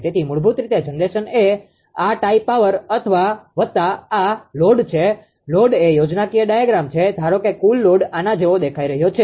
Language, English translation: Gujarati, So, basically generation is equal to this tie power plus this load is schematic diagram suppose total load is showing like this